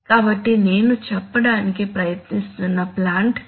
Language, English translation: Telugu, So this is the point that I was trying to make